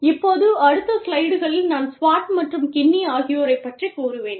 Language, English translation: Tamil, Now, in the next slides, i will be covering this paper, by Swart, and Kinnie